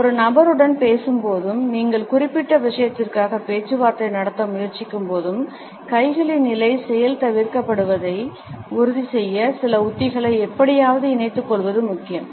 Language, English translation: Tamil, While talking to a person particularly when you are trying to negotiate for certain thing, it is important that we incorporate certain strategies somehow to ensure that the clenched hands position is undone